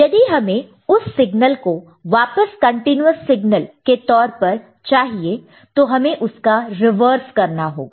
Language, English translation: Hindi, And if you want to get back in the form of a continuous signal, then we need to do the reverse of it